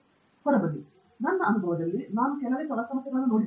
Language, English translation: Kannada, At least in my experience, I have seen very few problems work that way